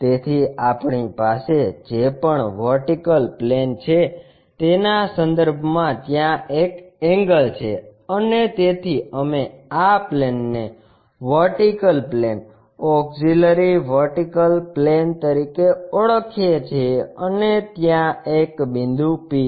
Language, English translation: Gujarati, So, whatever the vertical plane we have with respect to that there is an angle and because of that we call this plane as vertical plane, auxiliary vertical plane and there is a point P